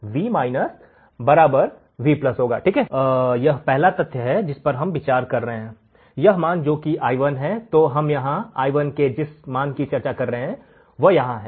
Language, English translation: Hindi, So, this is the first thing we are considering, this value which is i1 then we will consider the value which is right over here i1